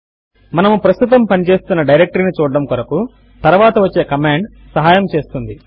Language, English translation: Telugu, The next command helps us to see the directory we are currently working in